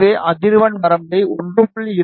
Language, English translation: Tamil, So, maybe take the frequency range from 1